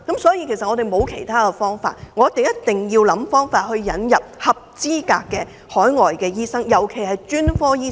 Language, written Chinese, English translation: Cantonese, 所以，我們沒有其他辦法，一定要想方法引入合資格的海外醫生來港服務，尤其是專科醫生。, we have no other options but to import qualified overseas doctors to Hong Kong especially specialist doctors